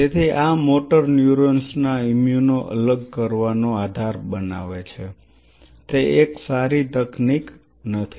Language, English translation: Gujarati, So, this forms the basis of immuno separation of motor neurons is not it a cool technique